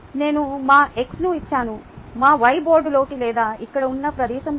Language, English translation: Telugu, our x is like this, our y is into the board or into the space here, and therefore x cross y